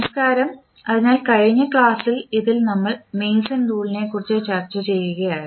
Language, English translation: Malayalam, Namaskar, so in last session we were discussing about the Mason’s rule